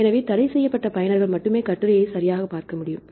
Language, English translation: Tamil, So, only restricted users can read the article right